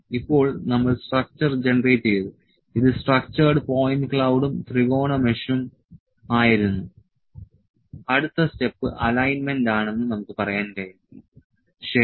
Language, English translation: Malayalam, Now, this is we are generated the features, we have generated the structure this was structured point cloud and triangular mesh we can say we can that the next step was the alignment, ok